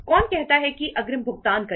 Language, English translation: Hindi, Who would like to say make the payment in advance